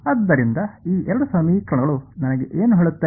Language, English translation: Kannada, So, what do these two equations tell me